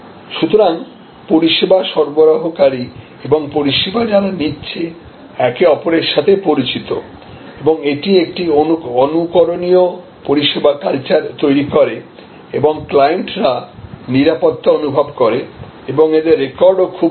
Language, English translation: Bengali, So, both service providers and service procurers are known to each other and that creates an exemplary service culture and the clients feels safe and very good record